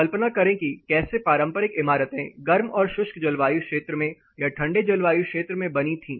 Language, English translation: Hindi, Imagine a case of how traditional buildings were built in hard dry climates or even colder climate